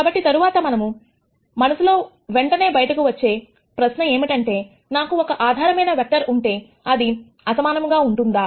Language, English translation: Telugu, So, the next question that immediately pops up in ones head is, if I have a basis vector, are they unique